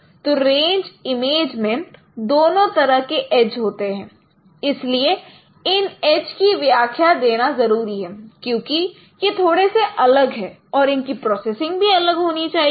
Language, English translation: Hindi, So in the range image you have both types of ages and that is why the characterization of these ages are important because they are bit different and their processing should be different